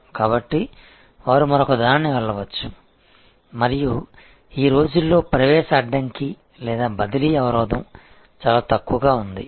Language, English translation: Telugu, So, they can just go to the other and the entry barrier or shifting barrier is quite low these days